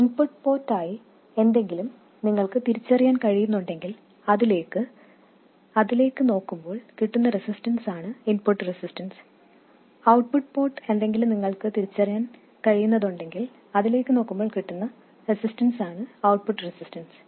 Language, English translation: Malayalam, If you have something that you can identify as the input port, then the resistance looking into that is the input resistance and something that is identified as the output port, resistance looking into that is the output resistance